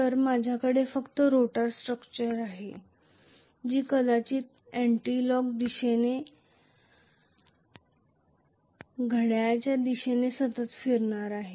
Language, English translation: Marathi, So, I am just having the rotor structure it is going to rotate continuously maybe in anticlockwise direction or clockwise direction